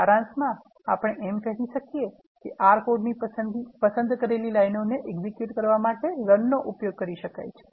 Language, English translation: Gujarati, In summary, we can say that, Run can be used to execute the selected lines of R code